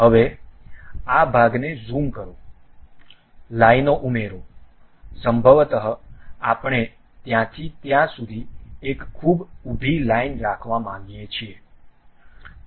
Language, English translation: Gujarati, Now, zoom into this portion, add lines, perhaps we would like to have a very vertical line from there to there, done